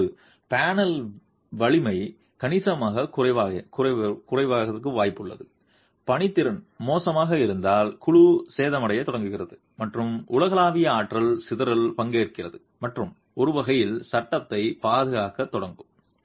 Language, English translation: Tamil, Now if the strength of the panel is significantly low and workmanship is poor, then the panel starts getting damaged and participates in global energy dissipation and in a way we will start protecting the frame